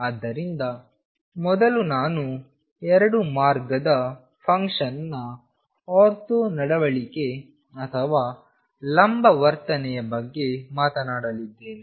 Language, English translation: Kannada, So, this first I am going to talk about of the ortho behavior or the perpendicular behavior of the 2 way function